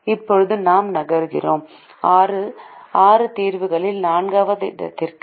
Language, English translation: Tamil, now we move on to the fourth out of the six solutions